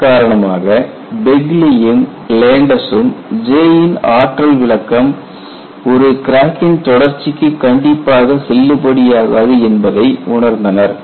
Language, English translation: Tamil, In view of that, Begly and Landes recognized that the energy interpretation of J is not strictly valid for an extending crack